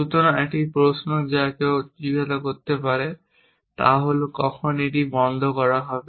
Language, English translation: Bengali, So, one question that one might ask is when will one terminate this